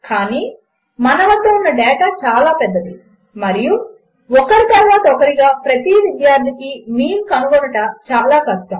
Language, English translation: Telugu, But we have such a large data set and calculating the mean of each student one by one is impossible